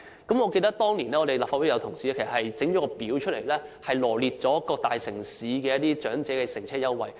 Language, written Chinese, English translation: Cantonese, 我記得有立法會議員當年製作了一幅圖表，臚列出各大城市的長者乘車優惠。, I remember that a Legislative Council Member compiled a table back then setting out the fare concessions offered by various major cities